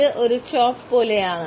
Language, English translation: Malayalam, It is like a chop